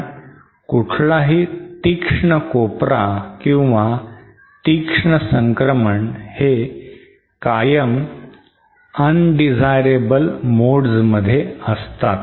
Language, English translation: Marathi, Because any sharp corner or any sharp transition is always on undesirable modes